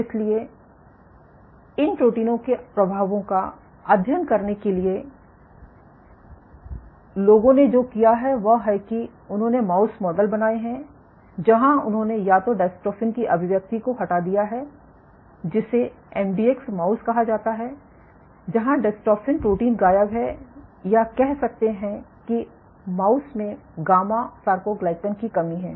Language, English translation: Hindi, So, to study the effects of these proteins what people have done is they have created mouse models, where they have deleted the expression of either dystrophin which is called an MDX mouse where the dystrophin protein is missing